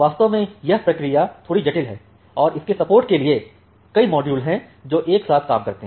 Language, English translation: Hindi, Indeed the process is a bit complex and there are multiple modules which work all together to support this